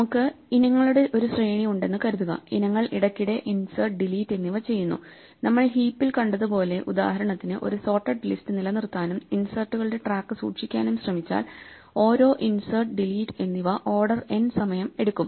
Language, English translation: Malayalam, Supposing, we have a sequence of items and items are periodically being inserted and deleted now as we saw with heaps, for instance, if we try to maintain a sorted list and then keep track of inserts then each insert or delete, in this case would take order and time and that would also be expensive